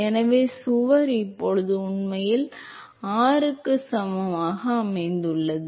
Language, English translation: Tamil, So, the wall is now actually located at r equal to r naught